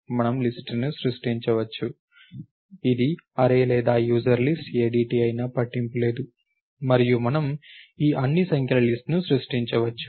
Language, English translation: Telugu, We can create a list, it does not matter whether it is an array or user list ADT and we can create a list of all these numbers